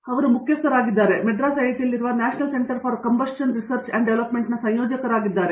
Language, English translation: Kannada, So, he heads the, he is the coordinator for the National Center for Combustion Research and Development, which is housed here in IIT, Madras